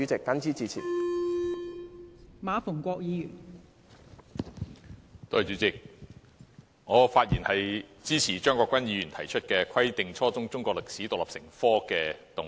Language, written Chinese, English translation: Cantonese, 代理主席，我發言支持張國鈞議員提出"規定初中中國歷史獨立成科"的議案。, Deputy President I speak in support of the motion on Requiring the teaching of Chinese history as an independent subject at junior secondary level moved by Mr CHEUNG Kwok - kwan